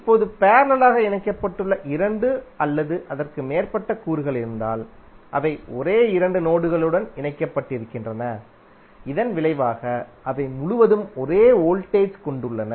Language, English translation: Tamil, Now if there are two or more elements which are connected in parallel then they are connected to same two nodes and consequently have the same voltage across them